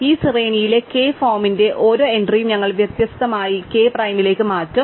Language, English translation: Malayalam, So, we will systematically replace every entry of the form k in this array to k prime